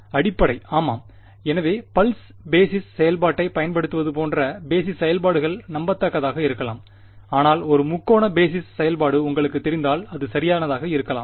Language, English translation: Tamil, Basis yeah so basis functions may be unrealistic like using a pulse basis function may be unrealistic, but using you know a triangular basis function may be better right